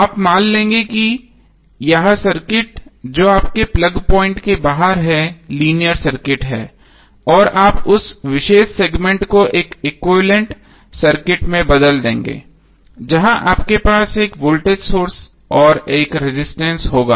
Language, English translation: Hindi, So you will assume that this circuit which is outside your plug point is the linear circuit and you will replace that particular segment with one equivalent circuit where you will have one voltage source and one resistance